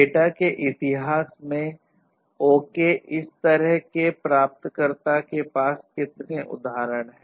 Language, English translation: Hindi, So, in the history of the data how many such instances are available to the receiver